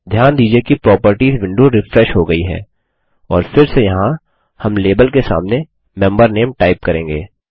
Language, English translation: Hindi, Notice that the Properties window has refreshed and again here, we will type in Member Name against Label